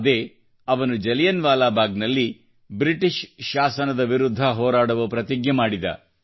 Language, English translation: Kannada, At Jallianwala Bagh, he took a vow to fight the British rule